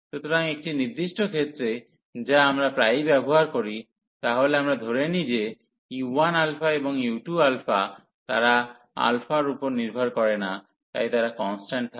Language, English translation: Bengali, So, a particular case which we often use, so we assume that u 1 alpha and u 2 alpha, they do not depend on alpha, so they are constant